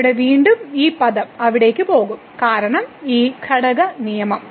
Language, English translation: Malayalam, So, here again this term will go there because this quotient rule